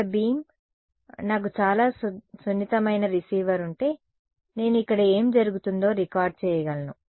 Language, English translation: Telugu, If I had a very sensitive receiver, I will be able to record what is happening over here